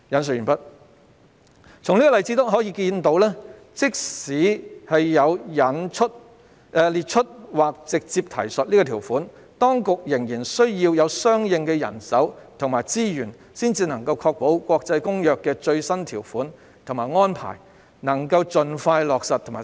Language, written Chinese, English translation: Cantonese, "從這例子可見，即使有了"列出或直接提述"《公約》的內容這項條款，當局仍然需要有相應的人手和資源，才能確保《公約》的最新條款和安排能盡快在港實施。, End of quote We learn from this example that even with the provision that empowers the Secretary to set out or refer directly the contents of the Convention the authorities still need to have the manpower and resources required to ensure that the latest provisions and arrangements of the Convention can be implemented in Hong Kong as soon as possible